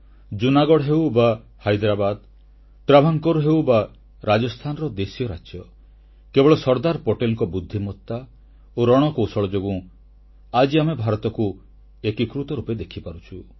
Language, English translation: Odia, Whether Junagadh, Hyderabad, Travancore, or for that matter the princely states of Rajasthan, if we are able to see a United India now, it was entirely on account of the sagacity & strategic wisdom of Sardar Patel